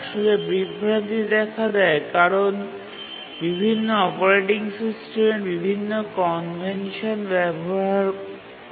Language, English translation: Bengali, Actually the confusion arises because different operating systems they use different conventions